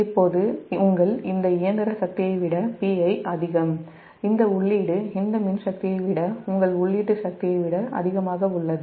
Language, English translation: Tamil, this mechanical power, this p i, this is greater than your input power, is greater than this electrical power